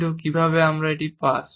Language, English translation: Bengali, But how do we pass it on